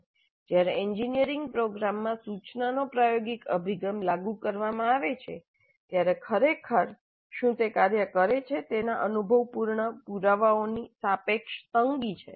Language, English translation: Gujarati, Of course there is relative positive empirical evidence of what really works when experiential approach to instruction is implemented in an engineering program